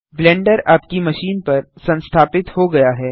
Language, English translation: Hindi, Blender should automatically start running